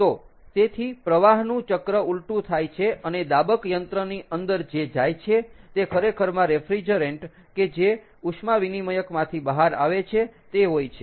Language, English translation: Gujarati, so, therefore, the flow loop is reversed and what goes into the compressor is actually the refrigerant that is coming out of this heat exchanger